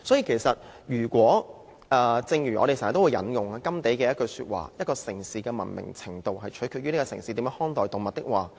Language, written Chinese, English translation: Cantonese, 我們經常引用甘地的話：一個城市的文明程度，取決於這個城市是如何看待動物。, We often quote Gandhi on this the greatness of a nation can be judged by the way its animals are treated